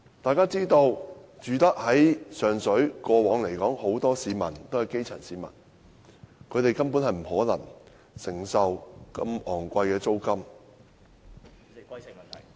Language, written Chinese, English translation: Cantonese, 眾所周知，過往上水居民很多也是基層市民，根本不可能承受如此昂貴的租金......, As we all know Sheung Shui residents are mostly grass - roots people and they simply cannot afford such exorbitant rents